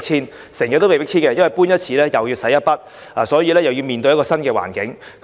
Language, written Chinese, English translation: Cantonese, 他們經常被迫遷，而每搬一次也要花一筆錢，又要面對新環境。, They are often forced to move out and each removal will cost them money and bring them to a new environment